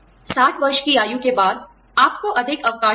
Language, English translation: Hindi, After the age of 60, you will get more vacation benefits